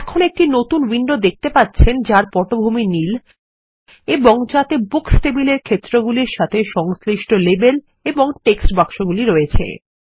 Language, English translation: Bengali, Now, we see a new window with a blue background with labels and text boxes corresponding to the fields in the Books table